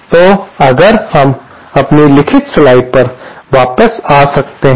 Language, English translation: Hindi, So, if we could come back to our written slides